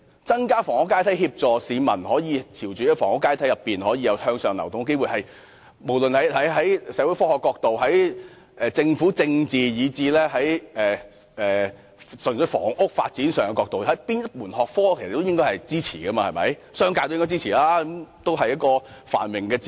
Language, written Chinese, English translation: Cantonese, 增加房屋階梯，協助市民在房屋階梯上有機會向上流動，不論是從哪個學科角度而言，例如社會科學、政府政治，以至純粹房屋發展，都應該獲得支持，而商界亦應該給予支持，因為這是繁榮的指標。, Creating an additional housing ladder as a means of giving people an opportunity to move up the housing ladder should command our support from the angles of various academic disciplines such as social sciences and government politics and housing development . The business sector should likewise render its support to it because this can serve as a prosperity indicator